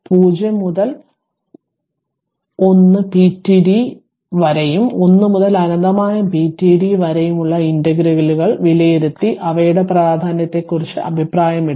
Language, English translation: Malayalam, Evaluate the integrals 0 to 1 pdt and 1 to infinity pdt and comment on the ah on their significance so